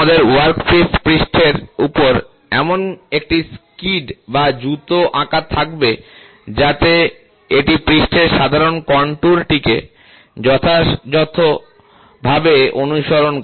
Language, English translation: Bengali, You will have a skid or a shoe drawn over a workpiece surface such that, it follows the general contour of the surface as accurately as possible